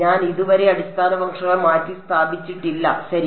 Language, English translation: Malayalam, I am I have not yet substituted the basis functions ok